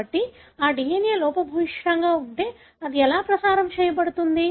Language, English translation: Telugu, So, if that DNA is defective, how would it be transmitted